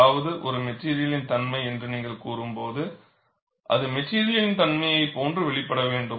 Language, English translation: Tamil, When you say something is a material property, it should behave like a material property